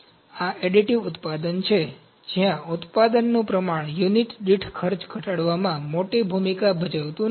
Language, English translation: Gujarati, So, this is additive manufacturing, where the volume of the production does not play a big role in reducing the cost per unit